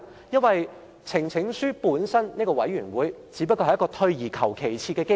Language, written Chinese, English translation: Cantonese, 因為呈請書本身只是一個退而求其次的機制。, For the mechanism of petition is already a second - best option